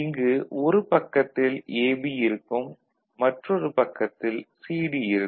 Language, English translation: Tamil, So, you can see one side is AB, another side CD